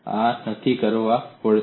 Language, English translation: Gujarati, So that has to be ensured